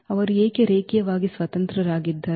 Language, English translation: Kannada, Why they are linearly independent